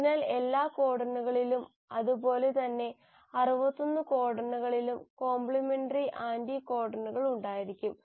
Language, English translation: Malayalam, So every codon, likewise all 61 codons will have the complementary anticodons